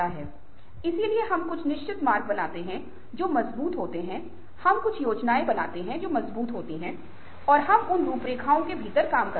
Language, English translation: Hindi, so we create certain paths which are strengthened, we create certain schemes which are strengthened and we work within those